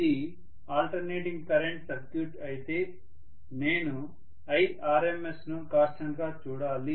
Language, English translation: Telugu, If it is an alternating current circuit I have to look at i RMS to be a constant ultimately